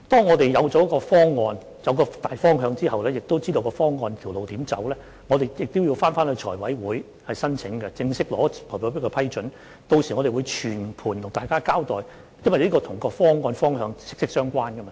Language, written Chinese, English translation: Cantonese, 我們在有方案和大方向，以及知道應該如何走這條路之後，我們須向財務委員會提出申請，並正式取得財委會的批准，屆時我們會向大家全盤交代，因為這是與有關的方案和方向息息相關的。, After we have come up with a plan and the overall direction and know how to travel down this road we have to make an application to the Finance Committee and obtain an approval from it so we will brief Members in due course as this matter has a close bearing with the relevant plan and direction